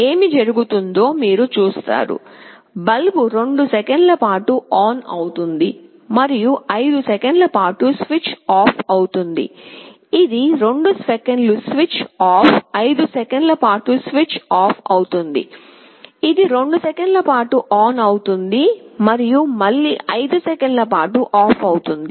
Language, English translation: Telugu, You see what happens; the bulb will switch ON for 2 seconds and will get switched OFF for 5 seconds, it is switching ON 2 seconds switch OFF for 5 seconds again, it switches ON for 2 seconds again switches OFF for 5 seconds